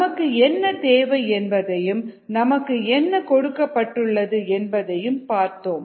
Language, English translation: Tamil, so we have seen what is needed and what are known are given